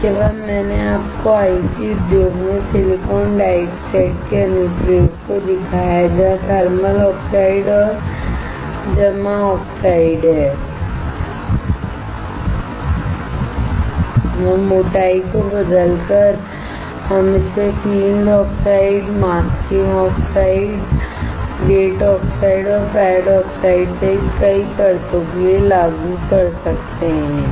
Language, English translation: Hindi, Next, I showed you the application of silicon dioxide in IC industry, where there are thermally grown oxide and deposited oxide, and by changing the thickness, we can apply it for several layers including field oxide, masking oxide, gate oxide, and pad oxides